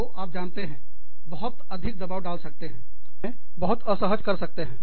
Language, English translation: Hindi, So, we, you know, that can put a lot of, that can make us, very uncomfortable